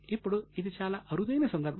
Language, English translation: Telugu, Now, this is a rare case